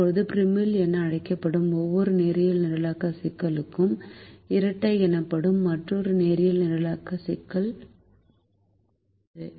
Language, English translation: Tamil, now, for every linear programming problem which is called as primal, there is another linear programming problem which is called the dual